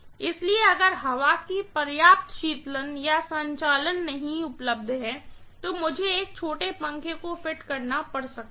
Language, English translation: Hindi, So, if adequate cooling or circulation of air is not available, I might have to fit a small fan, right